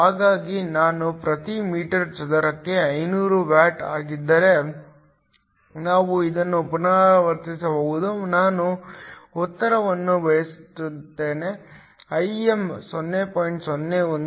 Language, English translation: Kannada, So, if I is 500 watts per meter square, we can repeat this, I will just write the answer; Im is 0